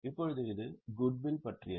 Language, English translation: Tamil, Now this is about the goodwill